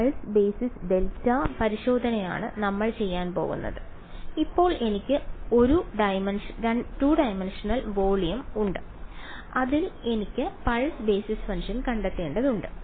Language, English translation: Malayalam, So, far which is pulse basis delta testing that is what we are going to do except that now I have a 2 dimensional volume in which I have to find out pulse basis functions